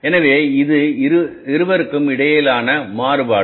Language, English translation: Tamil, So this is the variance between the two